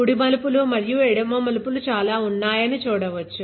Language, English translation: Telugu, So, you can see that there are a lot of right turns and left turns right